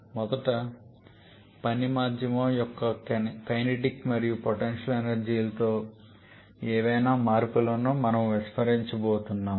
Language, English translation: Telugu, For that quite a few considerations have to be firstly we are going to neglect any changes in kinetic and potential energies of the working medium